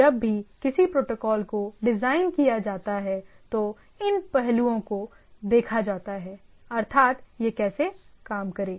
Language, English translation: Hindi, So, whenever a protocol is designed, so these aspects are looked into right, that how things will work